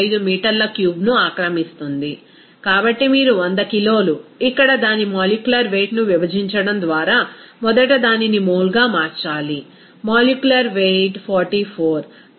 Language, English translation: Telugu, 415 meter cube, so 100 kg you have to convert it to mole first by dividing its molecular weight here, let the molecular weight is 44